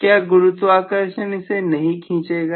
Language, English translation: Hindi, Will the gravity not pull it